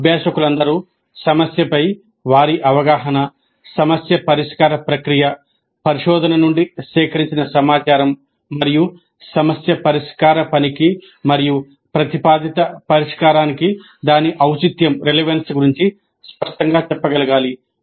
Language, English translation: Telugu, All learners must be able to articulate their understanding of the problem, the problem solving process, the information gathered from research and its relevance to the task of problem solving and the proposed solution